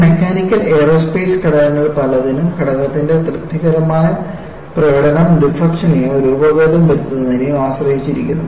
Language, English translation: Malayalam, You know, for many of this mechanical and aerospace components, the satisfactory performance of the component depends on deflection or deformation, whatever that comes across